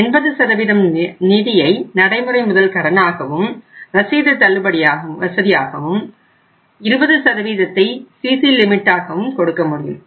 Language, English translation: Tamil, 80% of the finance should be given as working capital loan plus bill discounting facility only 20% can be given as a CC limit